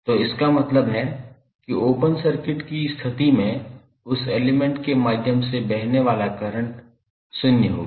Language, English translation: Hindi, So, it means that under open circuit condition the current flowing through that element would be zero